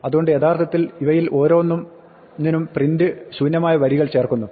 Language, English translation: Malayalam, So, actually print is putting out to blank lines for each of these